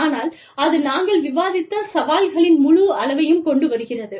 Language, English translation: Tamil, But, that brings with it, a whole slew of challenges, that we just discussed